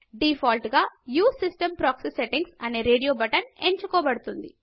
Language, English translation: Telugu, By default, the Use system proxy settings radio button is selected